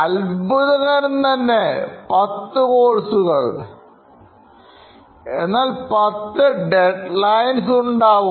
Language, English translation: Malayalam, So 10 courses means 10 deadlines